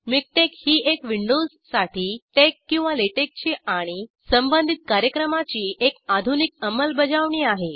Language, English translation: Marathi, MikTeX is an up to date implementation of TeX or LaTeX and related programs for Windows